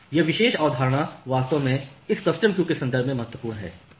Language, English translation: Hindi, So, this particular concept is actually important in the context of this custom queuing, why